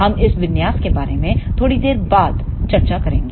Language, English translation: Hindi, We will discuss about this configuration little later